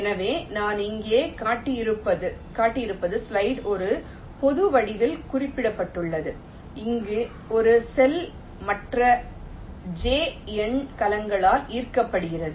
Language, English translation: Tamil, so this, exactly what i have shown here, is mentioned in the slide in a general form, where a cell is attracted by other j number of cells